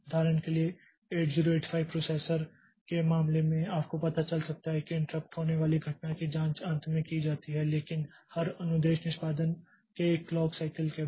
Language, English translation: Hindi, For example, in case of 8085 processor you may find out that the interrupt occurrence is checked at the last but one clock cycle of every instruction execution